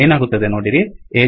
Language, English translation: Kannada, See what happens